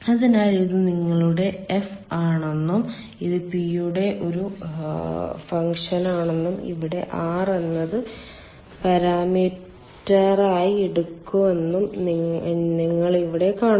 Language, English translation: Malayalam, so here you see, this is your f and this is a function of p and where r is taken as parameter